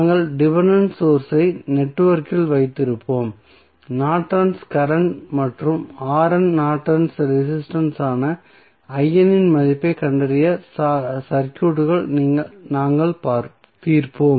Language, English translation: Tamil, So, we will keep the dependent sources in the network and we will solve the circuits to find out the value of I N that is Norton's current and R N that is Norton's resistance